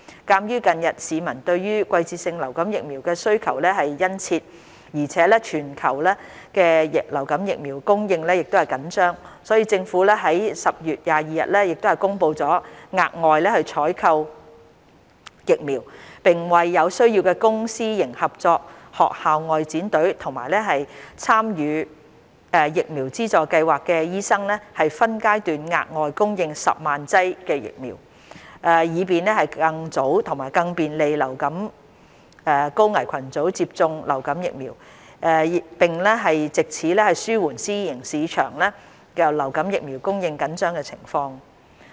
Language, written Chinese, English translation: Cantonese, 鑒於近日市民對季節性流感疫苗需求殷切，而全球流感疫苗供應緊張，所以，政府已於10月22日公布會額外採購疫苗，並為有需要的公私營合作學校外展隊及參與疫苗資助計劃的醫生分階段額外供應10萬劑疫苗，以便更早及更便利流感高危群組接種流感疫苗，並藉此紓緩私人醫療市場流感疫苗供應緊張的情況。, In view of the keen demand for seasonal influenza vaccines by members of the public recently and its tight supply around the world the Government announced on 22 October that it would procure additional vaccines as well as provide an additional 100 000 doses of vaccines in phases to Public - Private - Partnership Team which provides vaccination for schoolchildren and doctors enrolled in VSS which require the vaccines . This facilitates high - risk groups to receive vaccination early and helps relieve the tight supply in the private healthcare sectors